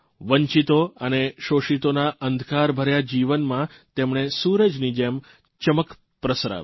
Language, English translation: Gujarati, He let sunshine peep into the darkened lives of the deprived and the oppressed